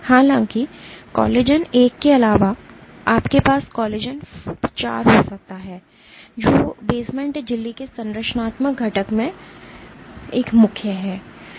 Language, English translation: Hindi, However, apart from collagen one you can have collagen IV which is a main in a structural component of the basement membrane